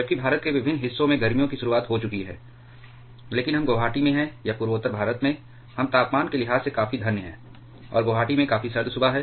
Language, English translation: Hindi, While summer has already started to step up in different parts of India, but we are in Guwahati or in northeast India, we are quite a bit blessed in terms of temperature, and it is quite chilly morning at Guwahati